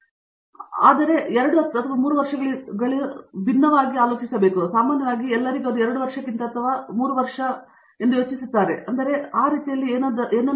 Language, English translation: Kannada, So, masters are supposed to be like about 2 to 3 years, but typically everybody thinks it is a 3 year thing rather than 2 year thing which does’nt have to be actually, right